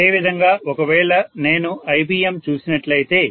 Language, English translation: Telugu, Similarly, if I look at ibm